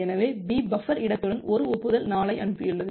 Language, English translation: Tamil, So, B has sent an acknowledgement 4 with buffer space 0